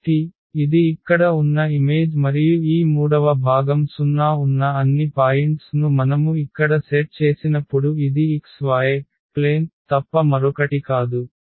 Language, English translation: Telugu, So, this is the image here and when we have set here all the points where this third component is 0 this is nothing but the xy plane